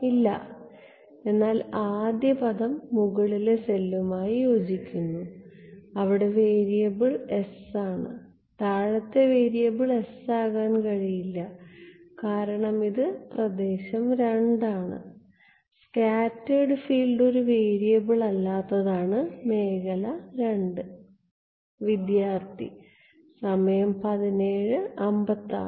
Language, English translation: Malayalam, No, but the first term corresponds to upper cell, where the variable is s and the lower one the variable cannot be s because it is region II; region II is the object where scattered field is not a variable